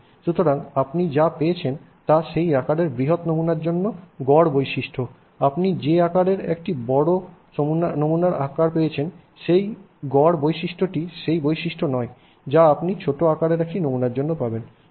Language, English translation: Bengali, So, what you got as a average property for a large sample of that size, average property that you got for a large sample that size is not the property that you will get for a small sample that size